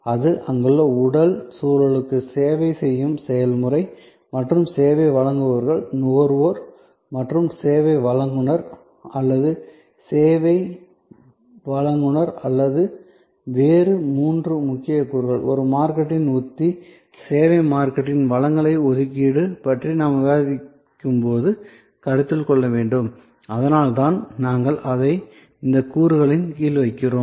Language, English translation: Tamil, That, the process of service, the physical environment that is there in and people who are providing the service, people who are participating in the service as consumer or as service provider or three other important elements, which must be considered when we discuss about deployment of a marketing strategy, allocation of resources for services marketing and that is why we put it under these elements